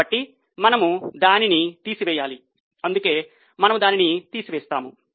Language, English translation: Telugu, So, we need to remove it, that's why we deduct it